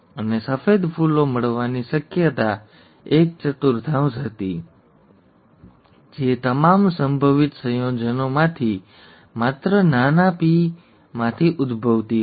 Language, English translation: Gujarati, And the probability of getting white flowers was one fourth, arising from only small p small p of all the possible combinations